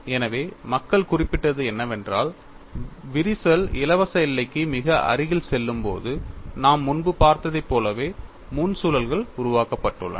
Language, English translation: Tamil, So, what people have noted is, when the crack goes very close to the free boundary, you have the frontal loops develop like what we had seen earlier